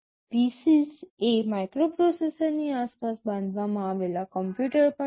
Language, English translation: Gujarati, PC’s are also computers built around a microprocessor